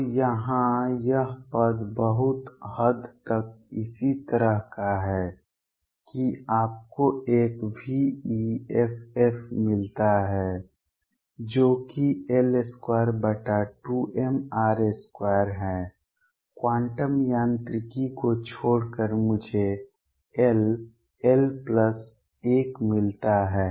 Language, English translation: Hindi, So, this term here is very similar to that you get a v effective which is L square over 2 m r square except in quantum mechanics I get l l plus 1